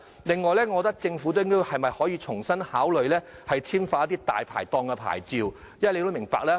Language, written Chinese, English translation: Cantonese, 另外，政府是否可重新考慮簽發大牌檔牌照？, Will the Government reconsider issuing Dai Pai Dong licences?